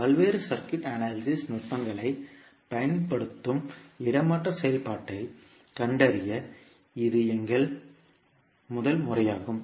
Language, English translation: Tamil, That is our first method of finding out the transfer function where we use various circuit analysis techniques